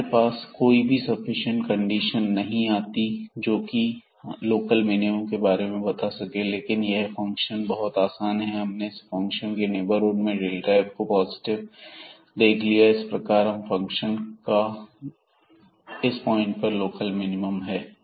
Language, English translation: Hindi, So, we could not get any sufficient condition, which can tell us about this local minimum, but this function was very easy to discuss directly, the behavior and we realized that whatever point be taking the neighborhood the function this delta f will be positive and hence, this is a point of local minimum